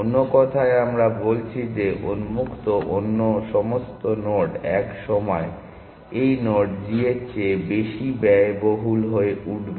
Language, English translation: Bengali, In other words we are saying that all other nodes on open will at some point become more expensive then this node g